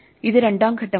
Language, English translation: Malayalam, This is the second phase